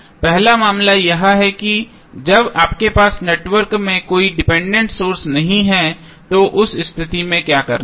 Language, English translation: Hindi, First case is that when you have the network which contains no any dependent source so in that case what we have to do